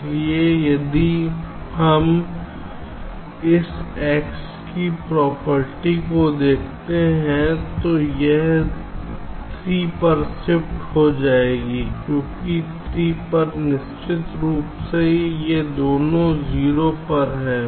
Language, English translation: Hindi, so this, if we just look at the property of this x, this will shift to three because at three, definitely both of them are at zero